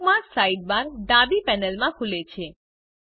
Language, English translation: Gujarati, The Bookmarks sidebar opens in the left panel